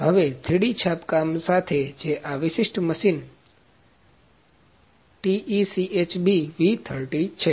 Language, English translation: Gujarati, Now with 3D printing that is this specific machine TECHB V30